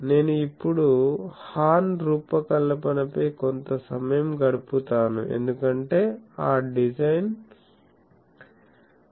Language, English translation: Telugu, So, I will now spend some time on the design of the horn, because that design is very important